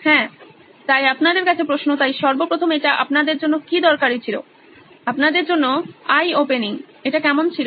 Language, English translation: Bengali, Yes, so question to you, so first of all was it useful you know, eye opening for you, how was this